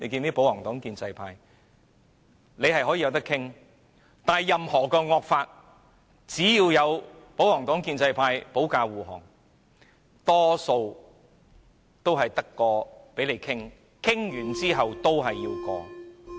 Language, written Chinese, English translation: Cantonese, 雖然法案可以討論，但任何惡法只要得到保皇黨及建制派的保駕護航，大多數也是只有討論，討論完後仍然要通過。, While discussion is allowed during the scrutiny of bills all draconian bills supported by the royalists and the pro - establishment camp will eventually get passed after discussion